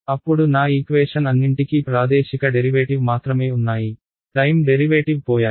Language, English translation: Telugu, Then all my equations have only spatial derivatives, the time derivatives have gone